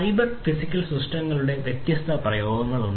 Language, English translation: Malayalam, There are different applications of cyber physical systems